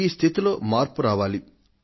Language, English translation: Telugu, We have to change this situation